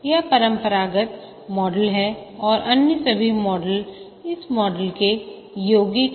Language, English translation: Hindi, This is the classical model and all other models are derivatives of this model